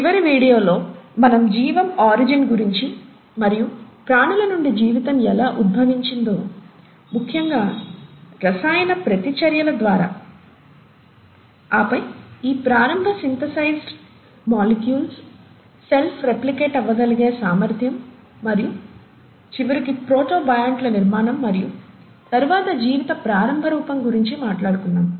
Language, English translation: Telugu, In the last video we spoke about origin of life and how life evolved from non living things, essentially through chemical reactions, and then the ability of these early synthesized molecules to self replicate and eventually formation of protobionts and then the early form of life